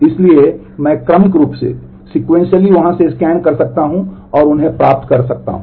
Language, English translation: Hindi, So, I can scan sequentially from there and get them